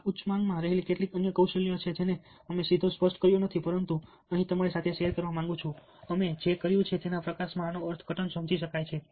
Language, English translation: Gujarati, these are some of the other skills in high demand we which we have not directly touched upon, but what i would like to do here is to share with you how these can be interpreted or understood in the light of what we have already done: being dependable